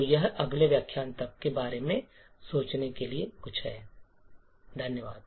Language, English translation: Hindi, So, this is something to think about until the next lecture, thank you